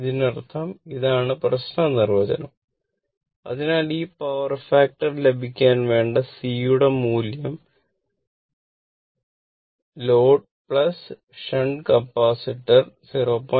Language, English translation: Malayalam, So, see how what is the value of C to make the overall power factor that is load plus shunt Capacitor 0